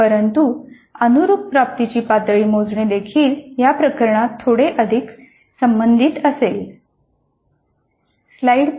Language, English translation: Marathi, But correspondingly computing the level of attainment would also be a little bit more involved in this case